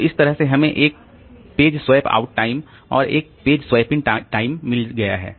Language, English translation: Hindi, So, that way we have got a page swap out time and a page swap in time